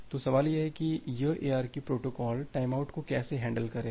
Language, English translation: Hindi, So, the question comes that: how does this ARQ protocol will handle the timeout